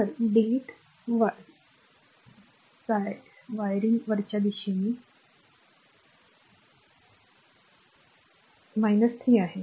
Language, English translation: Marathi, So, a delete siring upwards as it is minus 3